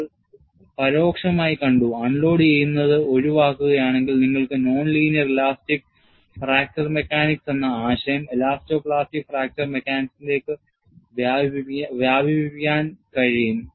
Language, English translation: Malayalam, And you have also indirectly seen, if you avoid unloading, you can extend the concept of linear elastic fracture mechanics, non linear elastic fracture mechanics to elasto plastic fracture mechanics